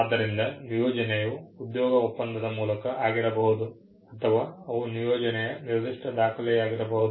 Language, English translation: Kannada, So, an assignment can be by way of an employment contract or they can be a specific document of assignment